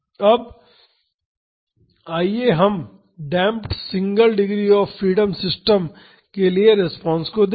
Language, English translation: Hindi, Now, let us see the response for a damped single degree of freedom system